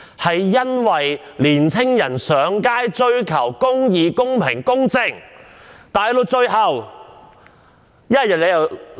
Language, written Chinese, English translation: Cantonese, 青年人上街追求公義、公平、公正，最後全部被拘捕。, Young people take to the streets in pursuit of justice equality and fairness but they all get arrested in the end